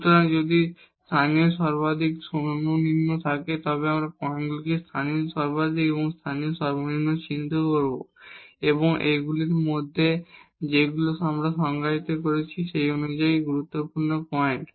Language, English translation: Bengali, So, if there is a local maximum minimum we will identify those points local maximum and minimum and among these which are the critical points as per the definition we have defined